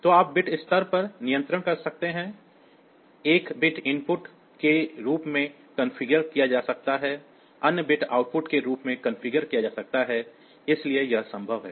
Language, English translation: Hindi, So, you can to control at the bit level may be one bit is configured as input, other bit configure as output; so, that is possible